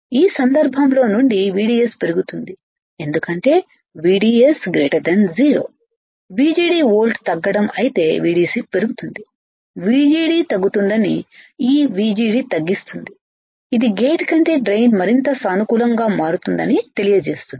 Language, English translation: Telugu, In this case since VDS increases because VDS is greater than 0 right VGD volt decrease correct if VDS increases VGD would decrease and this VGD reduces which implies that drain is becoming more positive than gate